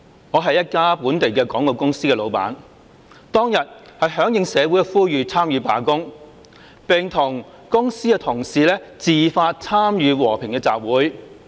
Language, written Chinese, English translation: Cantonese, 我是一家本地廣告公司的老闆，當日響應社會呼籲參與罷工，並與公司的同事自發參與和平的集會。, I am the boss of a local advertising company . In response to calls in society I staged a strike on that day and together with colleagues of my company attended a peaceful assembly on a voluntary basis